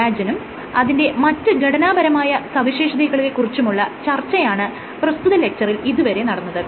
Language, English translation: Malayalam, So, that is about it for our discussion of collagen and their material properties